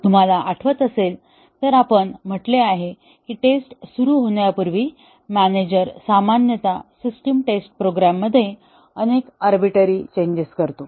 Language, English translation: Marathi, If you remember, we said that the manager before the testing starts typically the system testing makes several arbitrary changes to the program